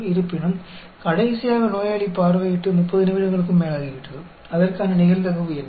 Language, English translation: Tamil, However, it has been more than 30 minutes since the last patient visited, what is the probability for that